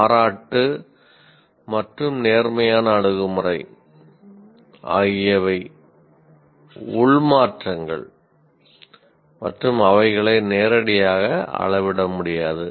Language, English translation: Tamil, Then appreciation and positive attitude, again once again are internal changes and they are not directly measurable